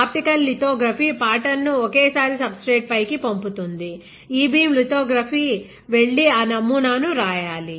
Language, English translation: Telugu, Why because optical lithography transfers the pattern fully onto a substrate in one go, e beam lithography has to go and write that pattern